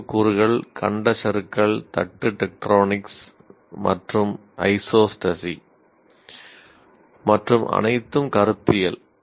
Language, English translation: Tamil, The other one is continental the knowledge elements are continental drift, plate tectonics and isostasy and all are conceptual